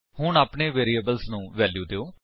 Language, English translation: Punjabi, Now, lets give values to our variables